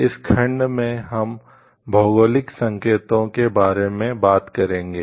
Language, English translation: Hindi, In this section we will discuss about geographical indications